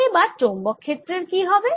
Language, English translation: Bengali, what about the magnetic field